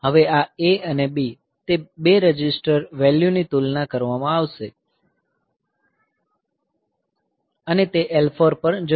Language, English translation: Gujarati, So, now, this A and B; so, those 2 register values will be compared and it will be going to L 4